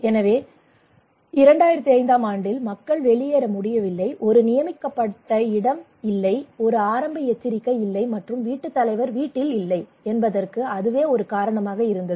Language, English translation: Tamil, So people could not evacuate during 2005 one reason that there was no designated place there was no early warning and the head of the household was not at house